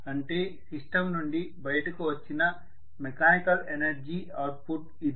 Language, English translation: Telugu, So the mechanical energy output that has come out of the system